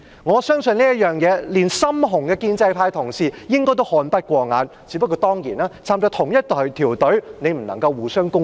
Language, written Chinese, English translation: Cantonese, 我相信對於這方面，就連"深紅"的建制派同事應該也看不過眼，只是大家份屬同一隊伍，當然不能夠互相攻擊。, I believe even the die - hard pro - establishment colleagues would detest such deeds yet being in the same camp they of course cannot attack one another